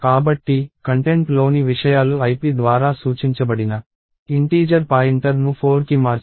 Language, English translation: Telugu, So, contents of the integer pointer pointed by ip should be changed to 4